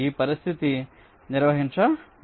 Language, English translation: Telugu, so this process will continue